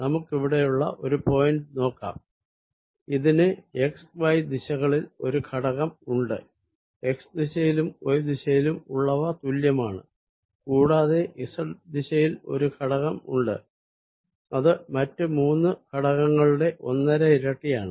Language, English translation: Malayalam, it has a component in x and y direction, x, y direction, which are equal, and in the z direction it has a component which is one and a half times the other three components